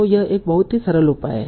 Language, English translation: Hindi, So, this is a very simple measure